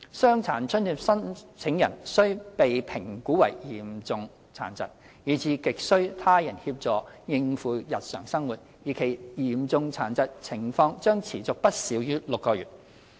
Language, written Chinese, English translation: Cantonese, 傷殘津貼申請人須被評估為嚴重殘疾，以致亟需他人協助應付日常生活，而其嚴重殘疾情況將持續不少於6個月。, A DA applicant must be assessed to be severely disabled as a result require substantial help from others to cope with daily life and hisher severe disabling condition will persist for at least six months